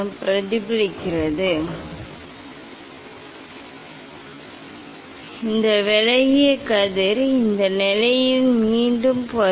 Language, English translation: Tamil, this reflect, this deviated ray will come back at this position